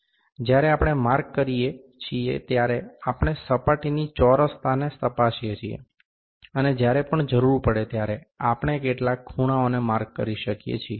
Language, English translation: Gujarati, Like while we mark this square, we check the squareness of the surface, and also we can mark some angles whenever required